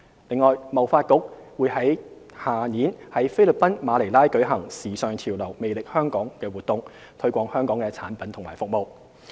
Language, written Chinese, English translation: Cantonese, 此外，貿發局將於來年在菲律賓馬尼拉舉行"時尚潮流˙魅力香港"活動，推廣香港的產品和服務。, HKTDC will stage the In Style・Hong Kong event in Manila the Philippines next year to promote Hong Kongs products and services